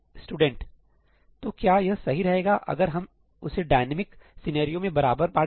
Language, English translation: Hindi, Is it better than dividing it equally in the dynamic scenario